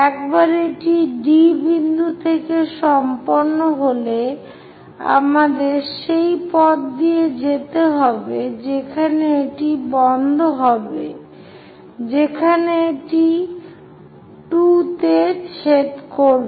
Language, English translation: Bengali, Once it is done from D point, we have to go along that stop it where it is going to intersect 2